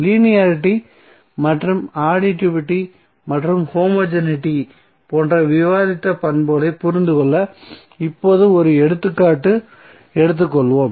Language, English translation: Tamil, Now let us take one example to understand the properties which we discussed like linearity and the additivity and homogeneity